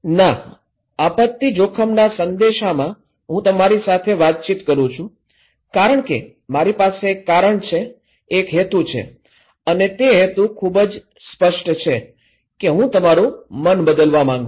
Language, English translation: Gujarati, No, in disaster risk communications I am communicating with you because I have a reason, a purpose and the purpose is very clear that I want to change your mind okay